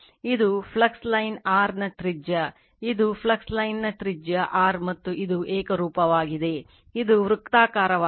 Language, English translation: Kannada, This is the radius of the flux line your r right, this is your radius of the flux line is r right and your this is uniform, it is a circular